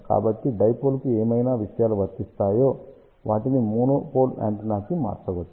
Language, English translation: Telugu, So, whatever things are applicable to dipole, they can be modified to monopole antenna